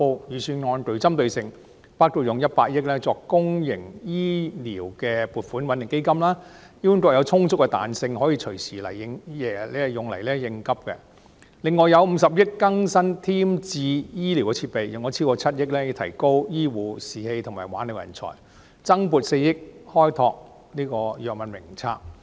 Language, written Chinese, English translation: Cantonese, 預算案就此撥出100億元作公營醫療撥款穩定基金，供醫管局隨時用來應急；另外用50億元添置醫療設備；用超過7億元以提高醫護士氣及挽留人才；增撥4億元擴闊藥物名冊。, The Budget will earmark 10 billion to set up a public health care stabilization fund for the Hospital Authority to cope with contingencies . An additional 5 billion will be earmarked for acquisition of medical equipment . Over 700 million will be used to boost the morale of health care workers and retain talent and an additional 400 million will be allocated to expand the scope of the Drug Formulary